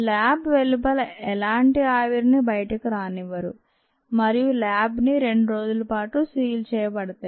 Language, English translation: Telugu, no vapour is allowed to escape into outside the lab and the lab is kept sealed for a couple of days and then you enter